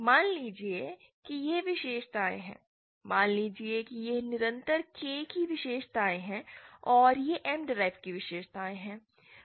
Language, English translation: Hindi, Say this is the characteristics, suppose this is the characteristics of the constant K and this is the characteristics of the m derived